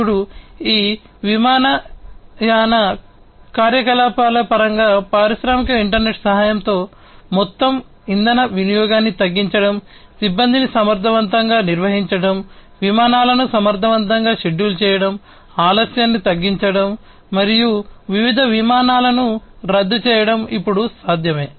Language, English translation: Telugu, Now, in terms of airline operations, with the help of the industrial internet it is now possible and it has become possible, to reduce the overall fuel consumption, to effectively manage the crews, to schedule the flights effectively, and to minimize delays, and cancellations of different flights